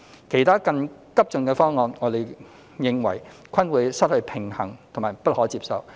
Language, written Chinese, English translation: Cantonese, 其他更急進的方案，我們認為均有失平衡及不可接受。, Other proposals with a hasty pace are considered unbalanced and unacceptable